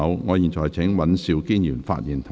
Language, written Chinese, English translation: Cantonese, 我請尹兆堅議員發言及動議議案。, I call upon Mr Andrew WAN to speak and move the motion